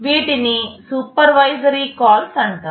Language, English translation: Telugu, These are called supervisory calls